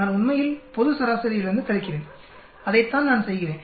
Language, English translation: Tamil, I subtract from the global average in fact, that’s what I am doing